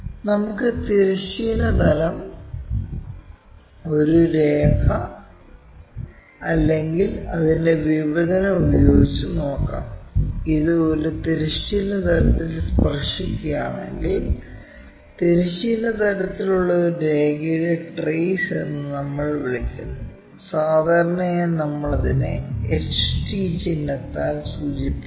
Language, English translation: Malayalam, Let us look at with horizontal plane, a line itself or its intersection; if it touches horizontal plane, we call trace of a line on horizontal plane and usually we denote it by HT symbol